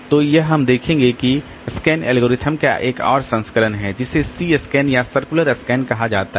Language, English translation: Hindi, So, this we'll see that there is another variant of this scan algorithm called C scan or circular scan